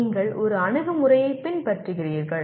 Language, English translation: Tamil, You are following one approach